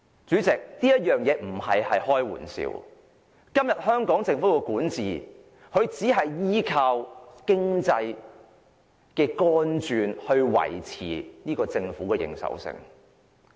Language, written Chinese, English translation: Cantonese, 主席，我不是開玩笑，今天香港政府的管治只是依靠經濟來維持政府的認受性。, President I am not kidding . Today the Hong Kong Government only relies on the economy to maintain peoples acceptance of its governance